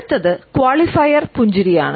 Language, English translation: Malayalam, The next is the qualifier smile